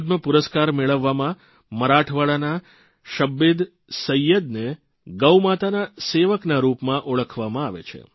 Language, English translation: Gujarati, Among the recipients of the Padma award, ShabbirSayyed of Marathwada is known as the servant of GauMata